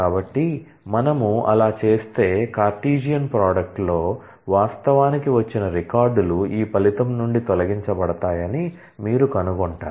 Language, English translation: Telugu, So, if we do that, then you will find that majority of the records that, actually came about in the Cartesian product are eliminated from this result